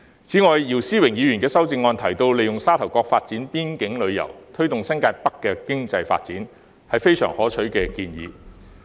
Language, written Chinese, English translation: Cantonese, 此外，姚思榮議員的修正案提到，利用沙頭角發展邊境旅遊，推動新界北的經濟發展，這是非常可取的建議。, Besides Mr YIU Si - wings amendment proposes to make use of Sha Tau Kok to develop boundary tourism so as to promote economic development in New Territories North . This is a very constructive suggestion